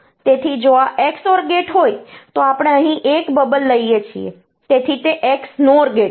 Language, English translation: Gujarati, So, if this is the XOR gate, we take a bubble here, so that is the XNOR gate